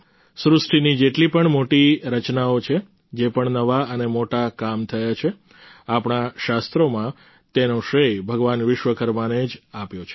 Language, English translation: Gujarati, Whichever great creations are there, whatever new and big works have been done, our scriptures ascribe them to Bhagwan Vishwakarma